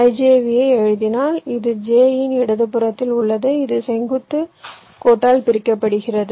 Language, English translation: Tamil, if i write i, j, v, this will correspond to: j is on the left of i, separated by vertical line